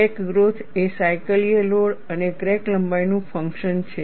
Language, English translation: Gujarati, Crack growth is a function of cyclical load and also crack length